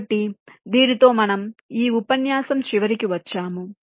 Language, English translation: Telugu, so with this we come to the end of this lecture